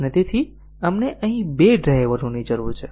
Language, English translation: Gujarati, And therefore, we need two drivers here